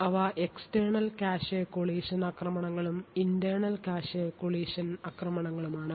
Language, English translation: Malayalam, collision attacks, they are external cache collision attacks and internal cache collision attacks